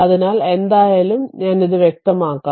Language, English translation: Malayalam, So, anyway let me clear it